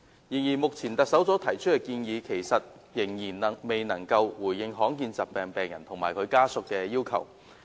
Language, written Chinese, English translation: Cantonese, 然而，目前特首所提出的建議仍然未能回應罕見疾病病人和其家屬的要求。, Nevertheless the proposals put forth by the Chief Executive currently fail to respond to the demands of rare disease patients and their families all the same